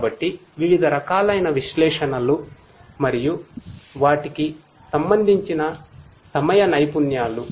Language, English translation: Telugu, So, these are the different types of analytics and their corresponding time skills of operation